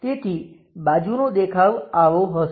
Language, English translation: Gujarati, So, the side view will be in that way